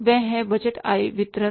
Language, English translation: Hindi, That is the budgeted income statement